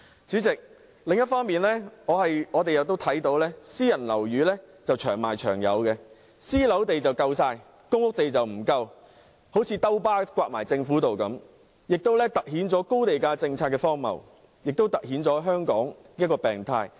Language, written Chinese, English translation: Cantonese, 主席，另一方面，我們看到私人樓宇"長賣長有"，興建私人樓宇的土地非常充足，興建公屋的土地卻不足，好像一巴掌打在政府的臉上，亦凸顯了高地價政策何等荒謬及香港的病態。, Chairman on the other hand we can see that private housing is never short of supply . The fact that the land for private housing construction is very abundant but that for public housing construction is inadequate is like a slap on the Governments face . It has highlighted the ridiculousness of the high land price policy and the abnormality in Hong Kong society